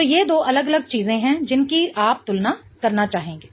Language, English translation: Hindi, So, these are the two different things that you want to compare